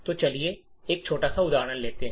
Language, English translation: Hindi, So, let us take a small example